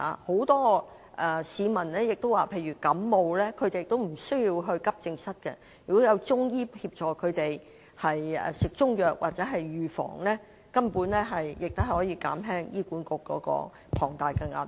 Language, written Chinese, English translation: Cantonese, 很多市民亦表示，例如患上感冒也無須到急症室，如果有中醫協助他們，例如服用中藥等，根本亦可減輕醫管局的龐大壓力。, Many people also say that it is unnecessary to seek AE services for influenza cases . Patients can choose to take Chinese medicine prescribed by Chinese medicine practitioners who can help ease the tremendous pressure borne by HA